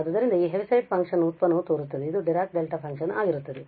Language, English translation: Kannada, So, the derivative of this Heaviside function seems to be this Dirac Delta function